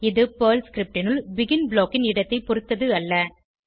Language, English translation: Tamil, This is irrespective of the location of the BEGIN block inside PERL script